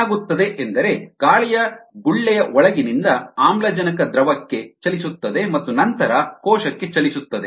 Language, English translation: Kannada, what happens is oxygen from inside the air bubble moves to the liquid and then moves to the cell